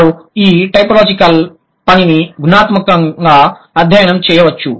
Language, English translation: Telugu, They like this typological work can be studied qualitatively